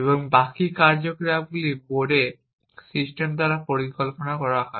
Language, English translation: Bengali, Then the rest of the activity is planned by the system on board